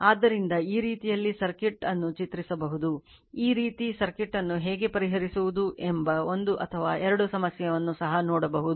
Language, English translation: Kannada, So, this way you can draw the circuit, even you will see one or two problem that how to solve using this kind of circuit right